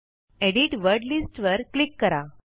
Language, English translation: Marathi, Click Edit Word Lists